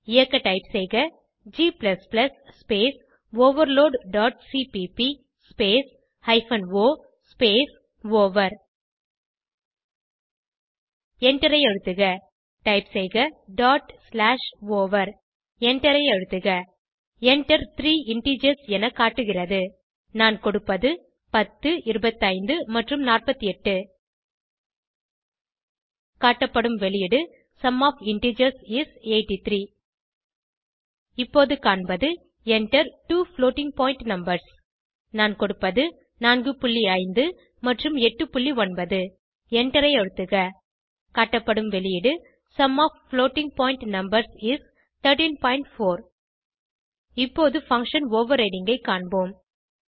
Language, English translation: Tamil, To execute type: g++ space overload dot cpp space hyphen o space over Press Enter Type dot slash over Press Enter It is displayed Enter three integers I will enter 10, 25 and 48 The output is displayed as: Sum of integers is 83 Now we see: Enter two floating point numbers I will enter as: 4.5 and 8.9 Press Enter The output is displayed as: Sum of floating point numbers is 13.4 Now we will see function overriding